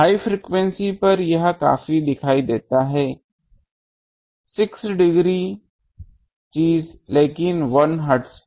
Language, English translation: Hindi, At high frequency this is quite visible, 6 degree thing, but at 1 megahertz